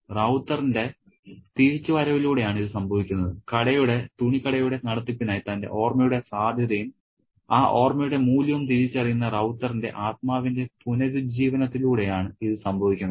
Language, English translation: Malayalam, It happens with the re flowering of Ravutah spirit who realizes the potential of his memory and the value of that memory for the benefit of the running of the shop, the cloth shop